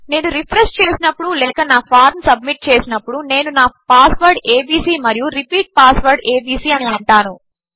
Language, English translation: Telugu, When I go to refresh or rather when I go to submit my form, I will say my password is abc and my repeat password is abc